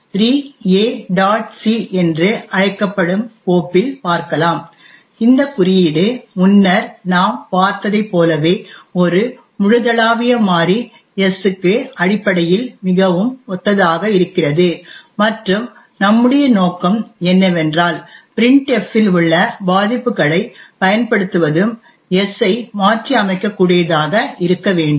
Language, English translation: Tamil, c, this code is very similar to what we have seen before essentially there is a global variable s and what we do intend to do is to use the vulnerability in the printf which is present here and be able to modify s